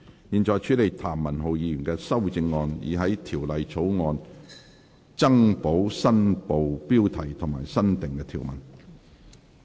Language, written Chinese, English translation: Cantonese, 現在處理譚文豪議員的修正案，以在條例草案增補新部標題及新訂條文。, The committee now deals with Mr Jeremy TAMs amendment to add the new Part heading and new clause to the Bill